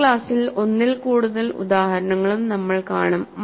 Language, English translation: Malayalam, And we will also see more than one example in the next class